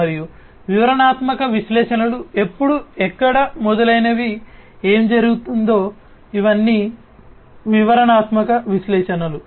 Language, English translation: Telugu, And descriptive analytics is when, where, etcetera what happened, these are all descriptive analytics